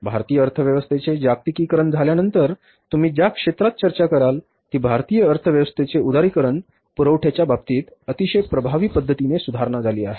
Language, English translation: Marathi, So, in any sector you talk about after globalization of Indian economy, after liberalization of Indian economy, the supply side has improved in a very effective manner